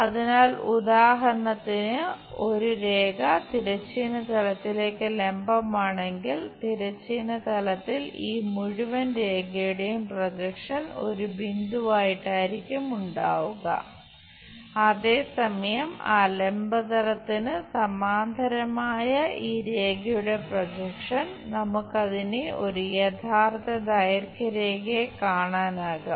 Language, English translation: Malayalam, The projection of this entire line on the horizontal plane will be a dot point whereas, this projection of this line, which is parallel to that vertical plane we will see it as a true length line